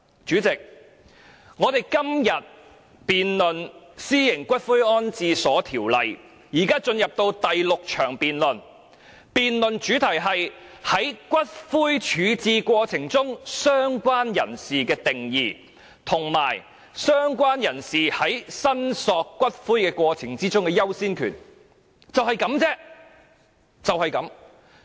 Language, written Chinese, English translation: Cantonese, 主席，我們今天辯論《私營骨灰安置所條例草案》，現已進入第六項辯論，辯論主題是在骨灰處置過程中，"相關人士"的定義，以及"相關人士"在申索骨灰過程中的優先權，只此而已。, Chairman the debate on the Private Columbaria Bill the Bill today is the sixth debate under the theme of definition of related person in the ash disposal procedures and the order of priority of related person in the course of claiming ashes and that is it